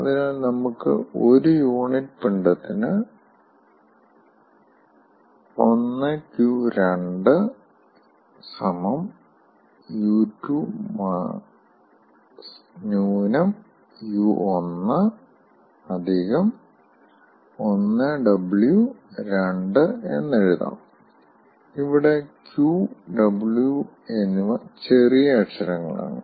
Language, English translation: Malayalam, so we can write, for per unit mass, q one two two is equal to u two minus u one plus w one to two